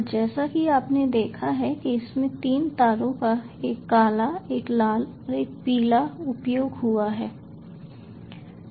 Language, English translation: Hindi, and, as you have seen, it has got three wires: one black, one red and one yellow